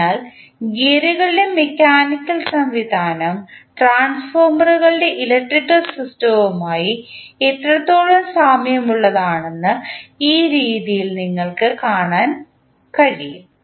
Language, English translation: Malayalam, So, in this way you can see that how closely the mechanical system of gears is analogous to the electrical system of the transformers